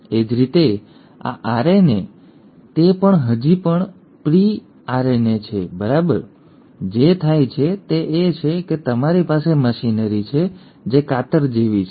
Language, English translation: Gujarati, Similarly this RNA, it is still a pre RNA, right, what happens is you have a machinery, which are like scissors